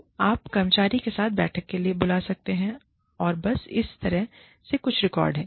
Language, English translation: Hindi, So, you may call for a meeting, with the employee, and just, so that way, there is some record